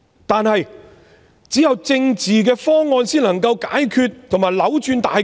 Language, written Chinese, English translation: Cantonese, 但是，只有政治的方案才能解決和扭轉大局。, That said only a political proposal can provide a solution and reverse the situation